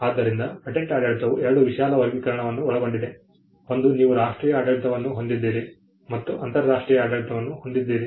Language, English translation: Kannada, So, the patent regime can comprise of two broad classification; one you have the national regime and then you have the international regime